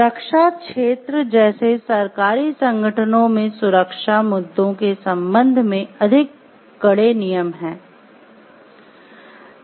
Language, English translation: Hindi, Government organizations like in defense sector have more stringent rules with respect to the security issues